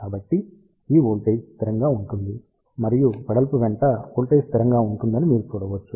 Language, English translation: Telugu, So, you can see that this voltage will remain constant and voltage will remain constant along the width